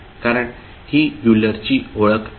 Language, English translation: Marathi, Because this is Euler's identity